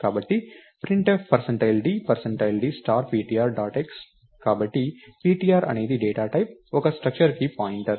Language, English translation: Telugu, So, printf percentage d, percentage d star of ptr dot x, so ptr is of the data type pointer to a structure